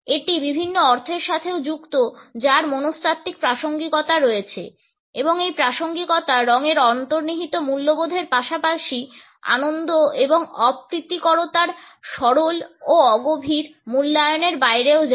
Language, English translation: Bengali, It is also associated with different meanings which have psychological relevance and this relevance goes beyond the intrinsic values of colors as well as beyond the simplistic and superficial appraisals of pleasantness and unpleasantness